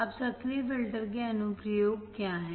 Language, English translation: Hindi, Now, what are the applications of active filters